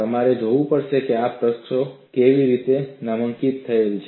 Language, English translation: Gujarati, You have to look at how these axes are labeled